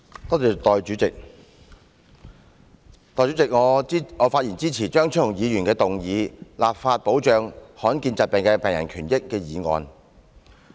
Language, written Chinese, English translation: Cantonese, 代理主席，我發言支持張超雄議員動議的"立法保障罕見疾病的病人權益"議案。, Deputy President I rise to speak in support of the motion Enacting legislation to protect the rights and interests of rare disease patients which is moved by Dr Fernando CHEUNG